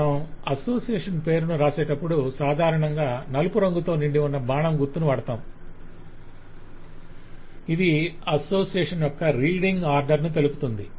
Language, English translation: Telugu, by the way, when you write the name of the association you normally put an arrow filled arrow which is called the reading order of the association